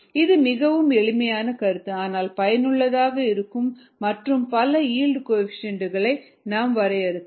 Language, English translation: Tamil, it's a very simple concept but useful, and you could define many yield coefficients